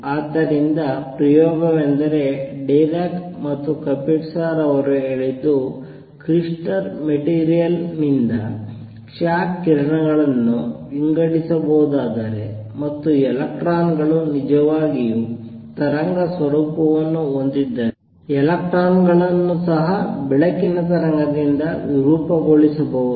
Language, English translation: Kannada, So, the experiment is what Dirac and Kapitsa said is that if x rays can be diffracted by material that is a crystal, and if electrons really have wave nature then electrons can also be diffracted by standing wave of light